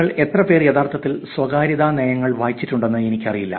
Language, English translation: Malayalam, I do not know, how many of you actually read privacy policies